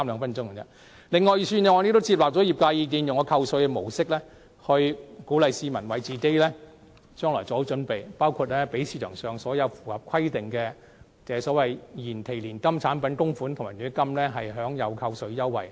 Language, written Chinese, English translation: Cantonese, 此外，預算案亦接納了業界意見，以扣稅模式鼓勵市民為自己的未來做好準備，包括給予市場上所有符合規定的延期年金產品供款及強積金供款扣稅優惠。, In addition the Budget has also accepted the industry views on encouraging people to prepare for their future by means of tax deduction . Tax concession is provided to contributions to eligible deferred annuity products in the market and Mandatory Provident Fund